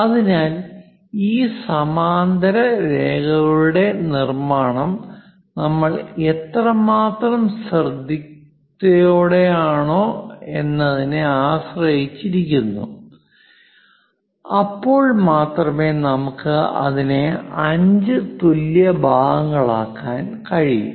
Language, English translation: Malayalam, So, it depends on how careful you are in terms of constructing these parallel lines; we will be in a position to make it into 5 equal parts